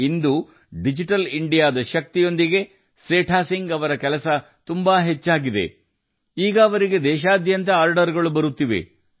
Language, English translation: Kannada, Today, with the power of Digital India, the work of Setha Singh ji has increased so much, that now he gets orders from all over the country